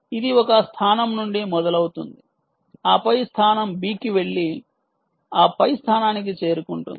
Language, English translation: Telugu, right, it starts from a location a, ah, then goes to location b and then reaches location c